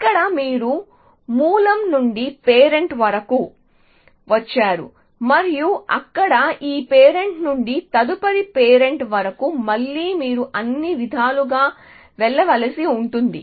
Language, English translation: Telugu, Here, you have come from the source all the way to the parent and there from this parent to the next parent again you have to go all the way and so on